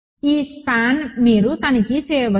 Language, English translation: Telugu, This spans you can check